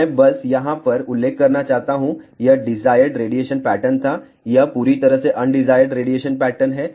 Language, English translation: Hindi, I just want to mention over here, this was the desired radiation pattern this is totally undesired radiation pattern